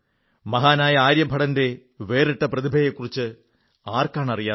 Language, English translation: Malayalam, Who doesn't know about the prodigious talent of the great Aryabhatta